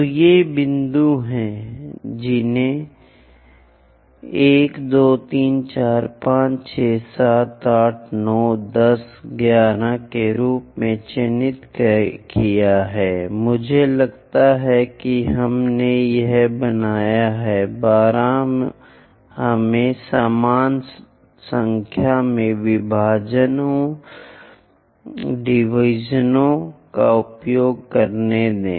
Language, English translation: Hindi, So, these are the points, mark them as 1 2 3 4 2 3 4 5 6 7 8 9 10 11, I think we made this is 12 let us use equal number of divisions